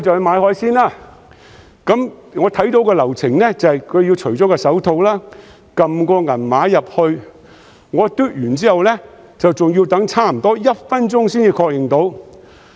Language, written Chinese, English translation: Cantonese, 買海鮮期間，我看到流程是：商販要除下手套，輸入銀碼，我"嘟"完八達通卡後還要等差不多1分鐘才能確認付款。, When shopping for seafood I observed the process the vendor had to take off his or her gloves and enter the amount and after I swiped my Octopus card I had to wait for almost one minute for the payment to be confirmed